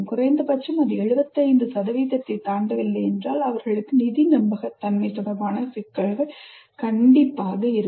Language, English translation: Tamil, Unless at least it crosses 75,000, they will have issues related to financial viability